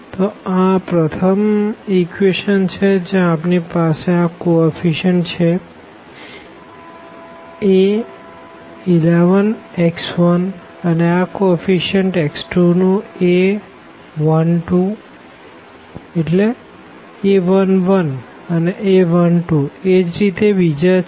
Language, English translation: Gujarati, So, this is the first equation where we have the coefficients here a 1 1 x 1 and this coefficient of x 2 is a 1 2 and so on; a 1 and r x n is equal to b 1